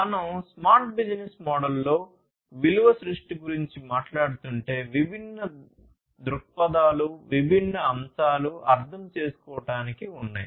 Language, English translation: Telugu, So, you know, if we are talking about the value creation in a smart business model, there are different perspectives different aspects that will need to be understood